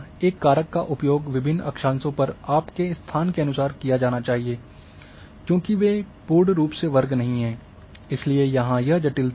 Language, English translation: Hindi, So, a factor has to be used according to the location of your as per the different latitude because as they not perfectly squared therefore this complication is there